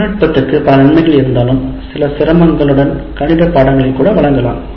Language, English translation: Tamil, So while the technology has several advantages, with some difficulty one can adopt to even presenting mathematical subjects as well